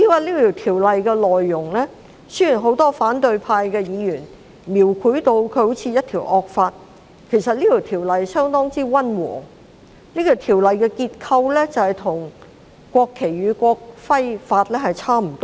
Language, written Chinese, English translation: Cantonese, 至於《條例草案》的內容，雖然很多反對派議員將《條例草案》描繪成好像是一項惡法，但其實《條例草案》相當溫和，其結構與《國旗及國徽條例》相若。, As regards the content of the Bill whilst many Members of the opposition camp have described the Bill as a draconian law actually the Bill is rather mild and its structure resembles that of the National Flag and National Emblem Ordinance